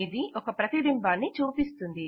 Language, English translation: Telugu, This will display an image